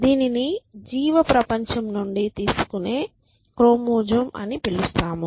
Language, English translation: Telugu, We would call this as a chromosome borrowing from the biological world